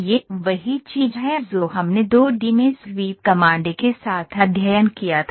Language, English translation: Hindi, This is the same thing what we studied in the 2 D with sweep command